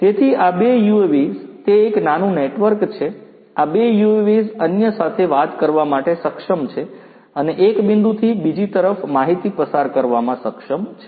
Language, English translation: Gujarati, So, these two UAVs, it is a small network these two UAVs are able to talk to each other and are able to pass information from one point to the other